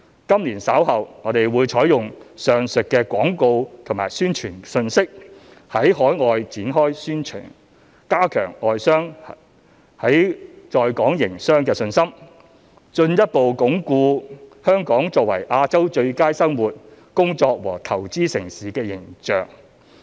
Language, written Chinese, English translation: Cantonese, 今年稍後，我們會採用上述的廣告和宣傳信息，在海外展開宣傳，加強外商在港營商的信心，進一步鞏固香港作為亞洲最佳生活、工作和投資城市的形象。, The aforesaid advertising and publicity materials will be used to launch a publicity campaign overseas later this year to increase the confidence of foreign businessmen in running a business in Hong Kong and further reinforce the image of Hong Kong as the best place in Asia to live work and invest in